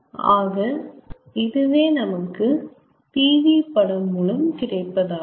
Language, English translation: Tamil, so that is what we get from pv diagram in ts diagram